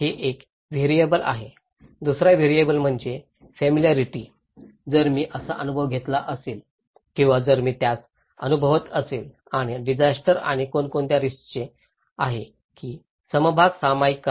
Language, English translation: Marathi, This is one variable, another variable is the familiarity, if I have experienced that one or if I am experiencing that and disasters and equitable sharing that who is benefit and who is a risk